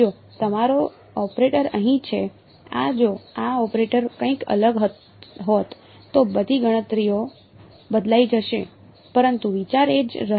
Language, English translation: Gujarati, Now, in case that your operator over here, this in if this operator was something different, then all the calculations will change; but the idea will remain the same right